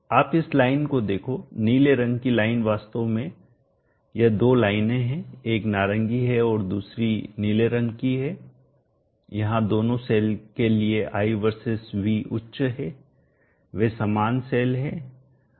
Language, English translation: Hindi, You see this line the blue line actually this is having two lines one is the orange and the other one is the blue this is high there is high versus v for the two cells they are identical cells